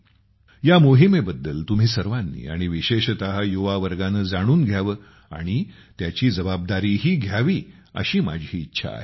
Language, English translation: Marathi, I would like all of you, and especially the youth, to know about this campaign and also bear responsibility for it